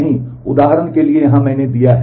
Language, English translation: Hindi, No, for example, here I have given